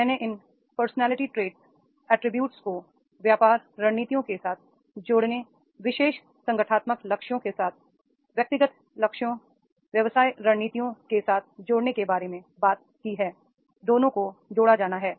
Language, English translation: Hindi, I have talked about these linking of these the personality traits attributes with the business strategies, individual goals with the organizational goals, business strategies are to be connected, both are to be connected